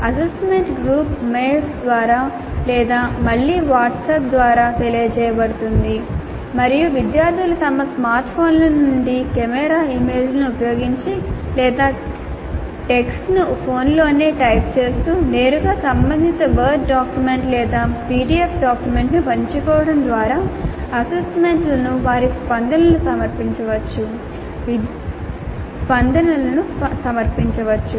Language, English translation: Telugu, The assignment is communicated through group mails or through WhatsApp again and the students can submit their responses to the assignments using either camera images from their smartphones or if it's a text that is typed in the phone itself directly by sharing the relevant word document or a PDF document